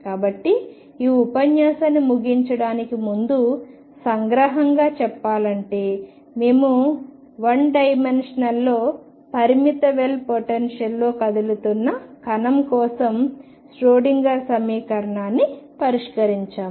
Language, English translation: Telugu, So, to conclude this lecture we have solved the Schrodinger equation for a particle moving in a finite well potential in one d